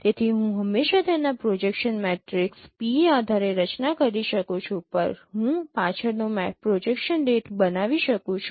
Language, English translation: Gujarati, So I can always form given its projection matrix P, I can form the back projection ray